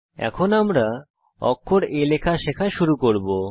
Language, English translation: Bengali, We will now start learning to type the letter a